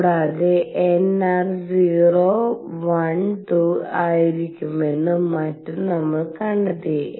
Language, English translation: Malayalam, And we have found that nr will be 0 1 2 and so on